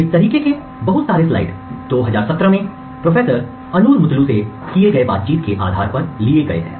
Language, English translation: Hindi, A lot of these slides are actually borrowed from Professor Onur Mutlu’s talk in 2017